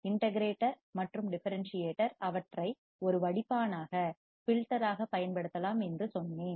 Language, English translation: Tamil, And during the integrator and differentiator I told you that they can be used as a filter